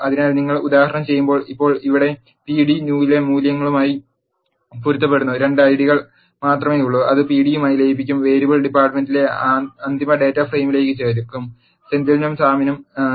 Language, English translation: Malayalam, So, well see that when you do the example, now here there are only 2 Ids corresponding to the values in p d new and that will be merged with pd, the variable department will be added to the final data frame, only for Senthil and Sam